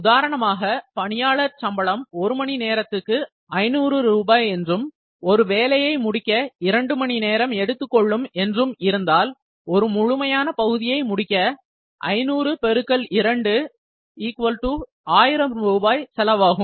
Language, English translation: Tamil, For instance, if he is paid rupees 500 per hour, and it takes 2 hours to complete a job, so 500 into 2 1000 rupees is the cost of completing one part